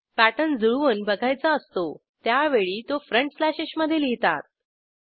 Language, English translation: Marathi, When we need to match patterns the pattern needs to be typed between front slashes